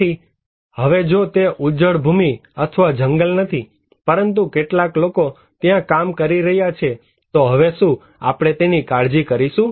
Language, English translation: Gujarati, So, now if it is not a barren land or a forest, but some people are working there, then do we care now